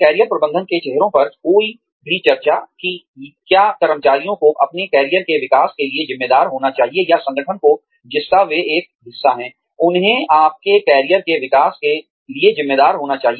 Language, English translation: Hindi, Some of the challenges, that any discussion on Career Management faces is, should employees be responsible, for their own career development, or should the organization, that they are a part of, be responsible for their career development